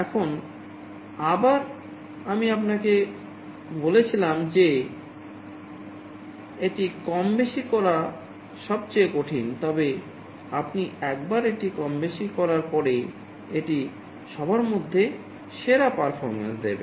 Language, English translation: Bengali, Now again, I told you that this is most difficult to tune, but once you have tuned it, this will give the best performance among all